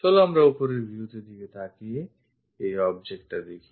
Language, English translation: Bengali, Let us look at top view is this object